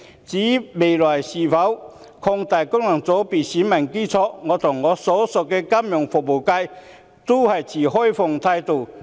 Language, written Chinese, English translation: Cantonese, 至於未來應否擴大功能界別的選民基礎，我和我所屬的金融服務界均持開放態度。, As regards whether the electorate of FCs should be expanded in the future I and the Financial Services Constituency to which I belong both hold an open attitude towards it